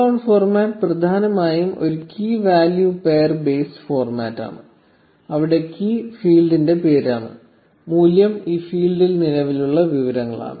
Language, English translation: Malayalam, So, the JSON format is essentially a key value pair based format, where the key is the name of the field and the value is the information present in this field